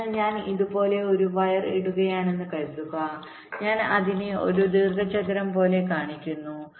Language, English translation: Malayalam, so suppose i am laying a wire like this, i am showing it as a rectangle, so as an alternative, i could have made it wider